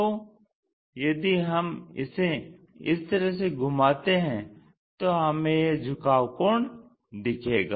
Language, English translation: Hindi, If we have it in this rotation view, we will have that inclination angle